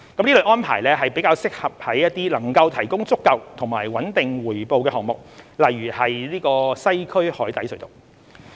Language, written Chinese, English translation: Cantonese, 這類安排較適用於能夠提供足夠和穩定回報的項目，例如西區海底隧道。, Generally this arrangement is more suitable for projects that will bring adequate and stable returns such as the Western Harbour Crossing